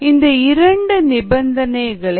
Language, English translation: Tamil, now let us look at these two conditions